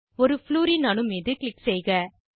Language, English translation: Tamil, Click on one Fluorine atom